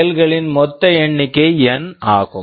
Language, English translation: Tamil, Total number of operation is N